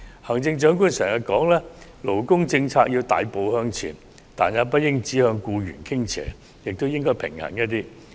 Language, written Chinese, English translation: Cantonese, 行政長官經常說勞工政策要大步向前，但也不應只向僱員傾斜，而應更加平衡。, The Chief Executive has always said that we should take a great step forward in labour policies but these policies should not be tilted towards employees and should be more balanced